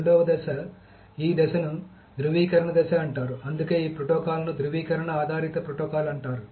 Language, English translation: Telugu, In the second phase, this the second phase is called the validation phase, which is why this protocol is called a validation based protocol